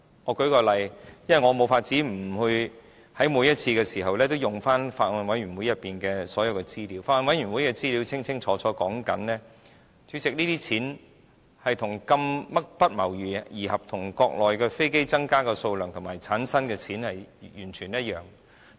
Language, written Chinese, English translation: Cantonese, 我舉例，因為我無法每次都引用法案委員會內所有資料，法案委員會的資料清楚指出，主席，這些錢不謀而合與國內飛機增加的數量及產生的金錢完全一樣。, I cannot quote all the information made available to the Bills Committee every time I speak on this . President in fact the information clearly reveals some congruent increasing trends in the amount involved here as well as the rises in aircraft numbers and the money generated in the Mainland